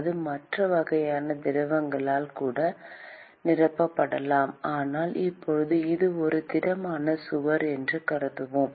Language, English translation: Tamil, It could even be filled with other kinds of fluids, but let us consider that it is a solid wall for now